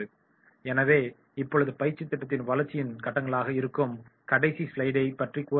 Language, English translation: Tamil, So now I will like to take the last slide that is the stages of development of training program